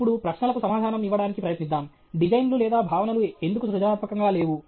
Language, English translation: Telugu, Now, let’s try to the answer the questions why are designs or concepts not creative